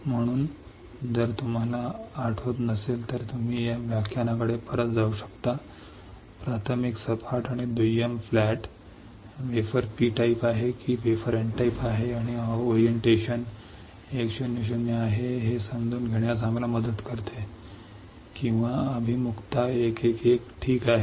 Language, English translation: Marathi, So, if you do not recall you can go back to that lecture look at how the primary flat and secondary flat, helps us to understand whether the wafer is P type or the wafer is N type and whether the orientation is 1 0 0 or the orientation is 1 1 1 all right